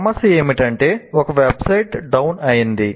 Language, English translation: Telugu, For example, here a website went down